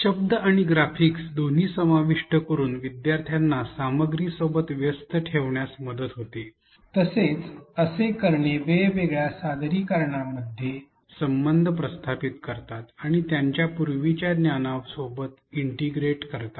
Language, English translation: Marathi, Including both words and graphics helps learners engage with the content make connections with the different representations as well as integrate it with their prior knowledge